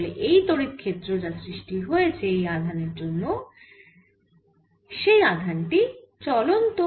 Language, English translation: Bengali, so this is electric field produced by this charge, for this charge is moving, so r